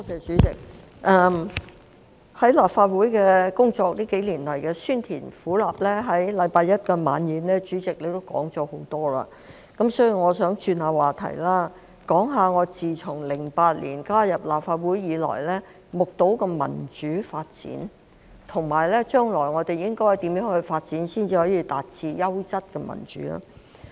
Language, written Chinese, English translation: Cantonese, 主席，近幾年來在立法會工作的酸甜苦辣，在星期一的惜別晚宴上主席也提到了很多，所以我想轉換話題，談談我自2008年加入立法會後目睹的民主發展，以及我們將來應該如何發展才可以達致優質民主。, President at the End - of - term Dinner on Monday the President shared quite a lot of the sweet sour bitter or even spicy experiences of working in the Legislative Council over the past few years . I thus wish to change the subject and talk about the democratic development that I have witnessed since I joined the Legislative Council in 2008 and how we should proceed forward to achieve quality democracy